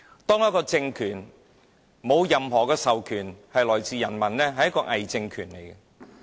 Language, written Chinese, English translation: Cantonese, 當一個政府沒有人民授權，便是偽政權。, A Government without peoples mandate is nothing more than a pseudo - regime